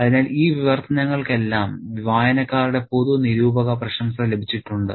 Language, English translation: Malayalam, So, all these translations have received a lot of critical acclaim by the reading public